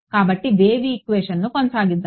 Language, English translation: Telugu, So, let us continue with are wave equation